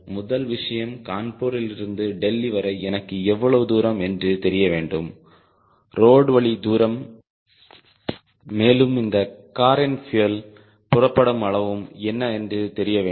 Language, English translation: Tamil, first thing, i need to know what is the distance from kanpur to delhi, the road distance and what is the fuel consumption rate of the car